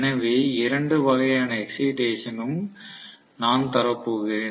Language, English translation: Tamil, So I am going to give excitation in both the cases